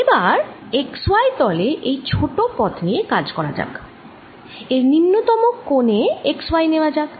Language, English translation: Bengali, let's take the lower most corner of this to be x, y